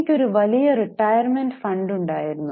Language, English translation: Malayalam, Company had a big retirement fund